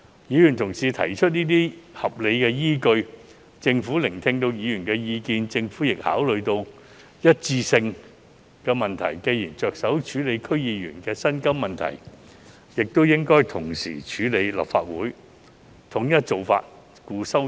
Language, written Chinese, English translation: Cantonese, 議員同事提出這些合理依據，政府亦聆聽議員的意見，並考慮到"一致性"的問題，既然着手處理區議員的薪酬問題，也應同時處理立法會議員的薪酬問題，統一做法，故此提出修正案。, Noting the justifications put forward by the members and after listening to their views for the sake of consistency it is necessary for the Government to deal with the remuneration of Legislative Council Members when it strives to deal with the remuneration of DC members . For consistency CSAs were thus proposed